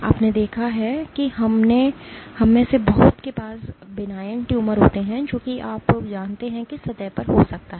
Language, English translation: Hindi, You have seen many of us have benign tumors which are you know which might be on the surface